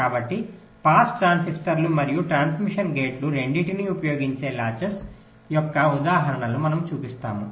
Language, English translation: Telugu, ok, so we show examples of latches that use both pass transistors and also transmission gates